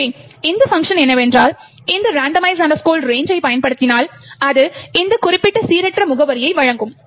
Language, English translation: Tamil, So, what this function does is invoke this randomize range which returns some particular random address